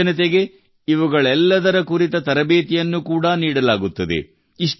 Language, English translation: Kannada, Youth are also given training for all these